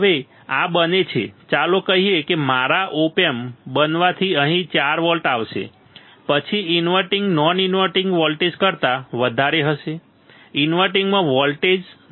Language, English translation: Gujarati, Now, this becomes; let us say because of my op amp becomes 4 volts will come here, then inverting would be greater than non inverting right voltage at inverting will be more than voltage at invert non inverting